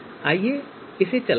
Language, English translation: Hindi, So let us run this